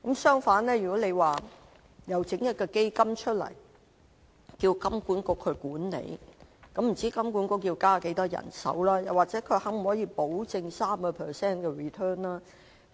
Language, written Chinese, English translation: Cantonese, 相反，蔣議員說設立一個基金，由金管局管理，不知道金管局要增加多少人手，又可否保證有 3% return？, On the contrary regarding Dr CHIANGs proposal for the setting up of a fund to be managed by HKMA I wonder how much manpower HKMA has to increase and whether the return rate can be guaranteed at 3 %